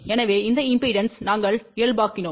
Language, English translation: Tamil, So, we normalized this impedance